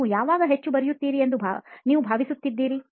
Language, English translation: Kannada, When do you think you write the most